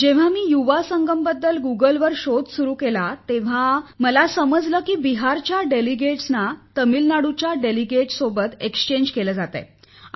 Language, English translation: Marathi, When I started searching about this Yuva Sangam on Google, I came to know that delegates from Bihar were being exchanged with delegates from Tamil Nadu